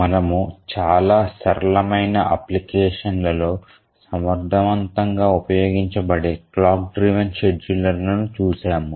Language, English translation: Telugu, So, so far we had looked at the clock driven schedulers which are efficient used in very simple applications